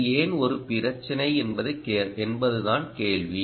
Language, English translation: Tamil, why is this really a problem